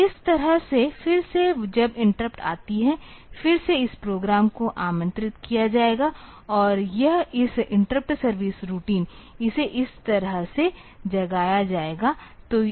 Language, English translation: Hindi, So, this way again when the interrupt comes; again this program will be invoked and it will be this interrupt service routine will be invoked and it will go like this